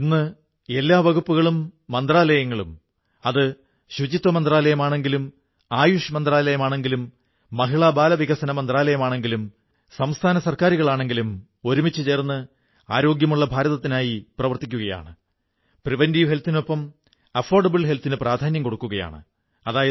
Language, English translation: Malayalam, But now, all departments and ministries be it the Sanitation Ministry or Ayush Ministry or Ministry of Chemicals & Fertilizers, Consumer Affairs Ministry or the Women & Child Welfare Ministry or even the State Governments they are all working together for Swasth Bharat and stress is being laid on affordable health alongside preventive health